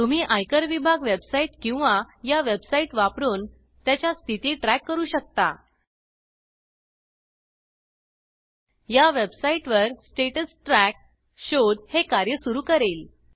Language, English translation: Marathi, You can track its status using the Income tax Department website or these websites On this website, the Status Track search will perform this task